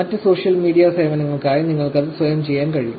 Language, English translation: Malayalam, So, you can actually do it for other social media services, yourself